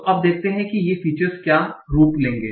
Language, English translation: Hindi, So now let us see what will be the form these features will take